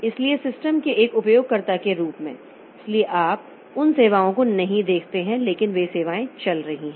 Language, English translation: Hindi, So, as an user of the system, so we do not see those services but those services are going on